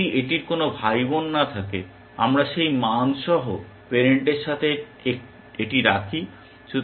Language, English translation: Bengali, If it has no sibling, we place it with the parent with that value